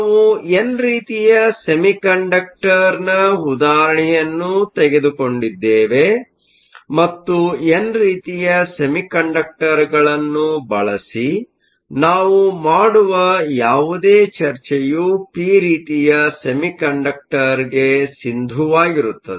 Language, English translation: Kannada, We use the example of an n type semiconductor and whatever discussion that we do using n type, the same is valid for a p type